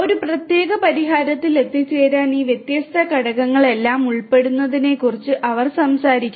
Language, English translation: Malayalam, And this particular work they talk about the involvement of all of these different components to arrive at a common solution